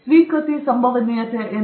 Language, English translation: Kannada, What is the probability of acceptance